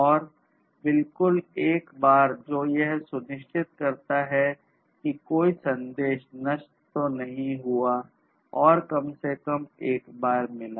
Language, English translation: Hindi, And, exactly once which talks about ensuring no message gets dropped and is delivered only once